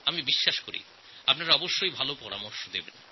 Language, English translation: Bengali, I believe that you will send your good suggestions